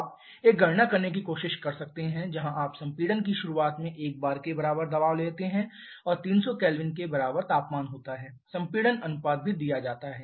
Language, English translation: Hindi, You can try to do a calculation where you take the pressure at the beginning of compression to be equal to 1 bar and temperature equal to 300 Kelvin, compression ratio is also given